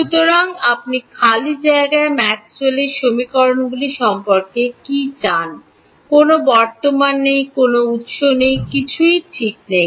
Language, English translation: Bengali, So, you want what about Maxwell’s equations in free space, no current, no sources, nothing right